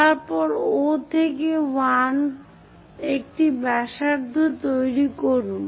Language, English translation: Bengali, Then O to 1 construct a radius make a cut there